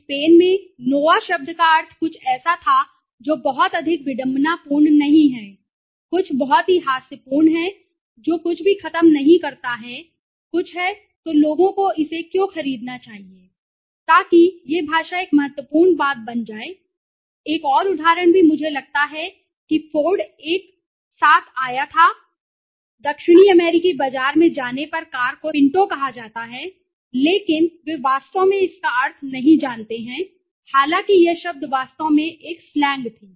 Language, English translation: Hindi, In Spain, the word nova meant something that does not move that is very ironical very you know humors something that does not over move is something then why should people buy it right so this language becomes a critical thing right thaws another example also I think ford came with a car called into right pinto when they went to the South American market actually they not know the meaning although word was actually a slang